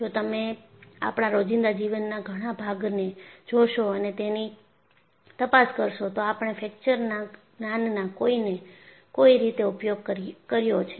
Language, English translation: Gujarati, And if you look at and investigate many of our day to day living, we have applied the knowledge of understanding of fracture in some way or the other